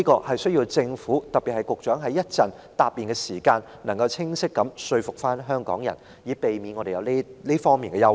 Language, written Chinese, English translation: Cantonese, 希望政府，特別是局長稍後答辯時，可以清晰說服香港人，以釋除我們的憂慮。, I hope the Government―particularly the Secretary in his reply later―can convince the people of Hong Kong so as to address our concerns